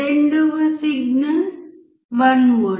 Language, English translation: Telugu, Second signal is 1V